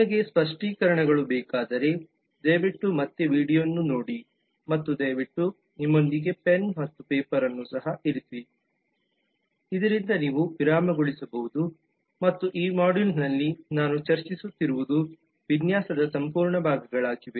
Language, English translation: Kannada, if you need clarifications please watch the video again and please also keep pen and paper with you so that you can pause in between and complete parts of design that i am discussing in this module